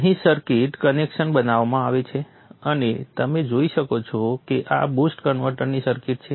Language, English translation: Gujarati, The circuit connections are made here and you see this is the circuit of the boost converter